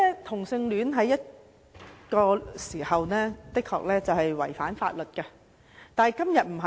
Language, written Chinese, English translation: Cantonese, 同性戀曾幾何時的確是違反法律，但在今時今日不是。, There were times when homosexuality was indeed unlawful but it is no longer the case